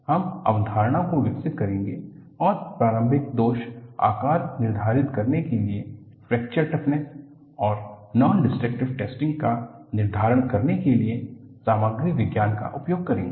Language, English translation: Hindi, You would develop the concept and uses Material Science to determine the fracture toughness and nondestructive testing to determine the initial flaw size